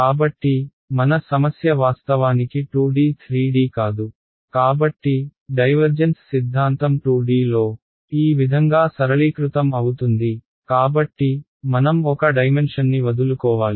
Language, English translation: Telugu, So, since our problem is actually 2D not 3D, the divergence theorem get simplified in 2D as follows, so, I have to drop one dimension